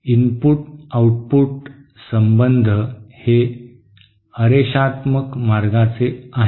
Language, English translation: Marathi, The input output relationship is of some non linear way